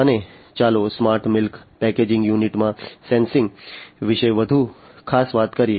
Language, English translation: Gujarati, And let us talk about the sensing in a smart milk packaging unit much more specifically